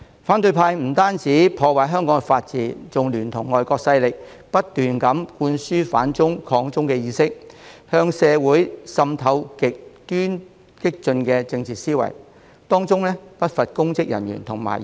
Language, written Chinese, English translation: Cantonese, 反對派不單破壞香港的法治，還聯同外國勢力不斷灌輸"反中"、"抗中"的意識，向社會滲透極端激進的政治思潮，當中不乏公職人員和議員。, People from the opposition camp have not only ruined the rule of law in Hong Kong but have also kept instilling in society in collaboration with foreign forces the ideas of anti - China and resisting China as well as extremely radical political ideologies . Many of them are public officers and Members